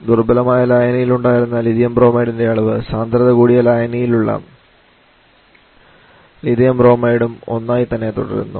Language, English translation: Malayalam, The amount of lithium Bromide that was there in the resolution the same Lithium Bromide remains strong solution as well